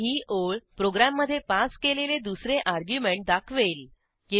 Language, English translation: Marathi, And this line will display the 2nd argument passed to the program